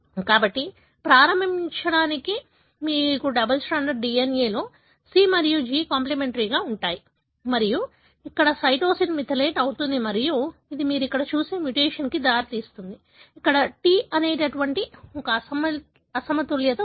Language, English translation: Telugu, So, to begin with, you have C and G as a complementary in a double stranded DNA and the cytosine here gets methylated and that is leading to the mutation that you see here, T here